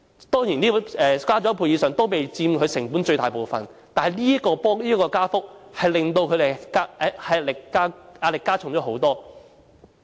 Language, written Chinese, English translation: Cantonese, 當然，租金增加一倍以上也非佔他們成本的最大部分，但是這個加幅為他們加添不少壓力。, Of course rent does not account for the largest share of their costs even after it has doubled but this increase did add a lot of pressure on them